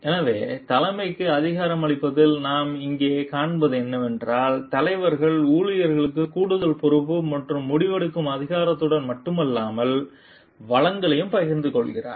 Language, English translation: Tamil, So, what we find over here in empowering leadership the leader shares the employees with additional not only responsibility and decision making authority, but also the resources